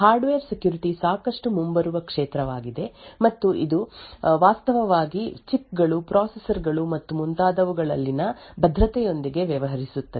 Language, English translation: Kannada, So, Hardware Security is quite an upcoming field and it actually deals with security in chips, processors and so on